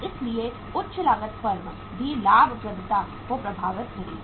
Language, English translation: Hindi, so high cost will be affecting the profitability of the firm